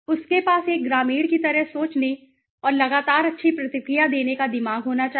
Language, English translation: Hindi, He should have the mind set to think like a rural villager right and constantly well hidden response